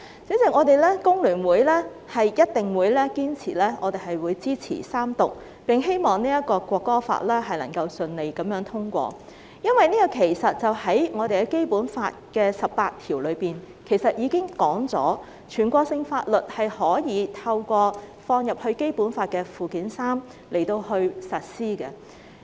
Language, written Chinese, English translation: Cantonese, 主席，香港工會聯合會一定會堅決支持《條例草案》三讀，並希望《條例草案》可順利通過。因為《基本法》第十八條已經訂明，全國性法律可透過納入《基本法》附件三實施。, President the Hong Kong Federation of Trade Unions FTU will resolutely support the Third Reading of the Bill for sure and it is our hope that the Bill can be passed smoothly bearing in mind that Article 18 of the Basic Law has already stipulated that national laws can be implemented by incorporation into Annex III to the Basic Law